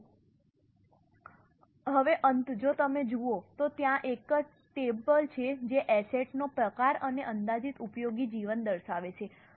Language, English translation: Gujarati, Now, in the end if you look there is a table which is showing the type of the asset and estimated useful life